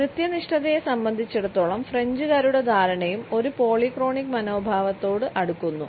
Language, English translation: Malayalam, The understanding of the French, as far as the punctuality is concerned, is also closer to a polychronic attitude